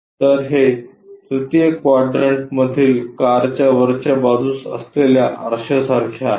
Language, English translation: Marathi, So, it is more like a mirror you have it on top side of the car in 3rd quadrant